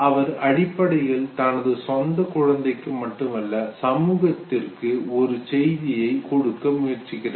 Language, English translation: Tamil, Now he was basically trying to train not only his own baby but also tried to be trying to give message to the society